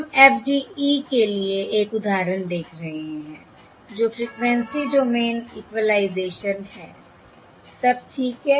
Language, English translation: Hindi, We are looking at an example for FDE that is Frequency Domain Equalization, all right